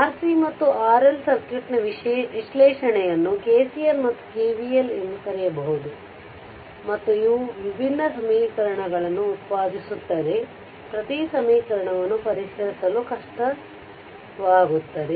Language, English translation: Kannada, We carry out the analysis of R C and R L circuit by using your what you call KCL your KCL and KVL and produces different equations, which are more difficult to solve then as every equations right